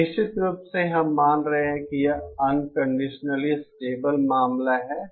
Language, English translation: Hindi, This is of course, we are assuming this is the unconditionally stable case